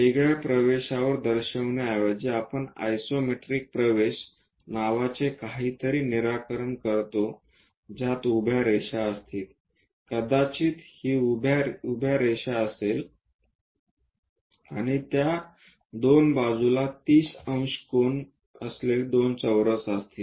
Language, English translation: Marathi, Rather than showing it on different access, we fix something named isometric access which consists of a vertical line, perhaps this is the vertical line and two others with 30 degrees square on either side of it